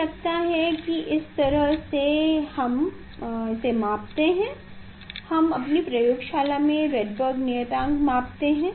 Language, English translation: Hindi, I think this is the way we measure; we measure the Rydberg constant in our laboratory